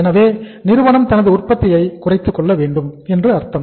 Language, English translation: Tamil, So it means the industry has to slow the production also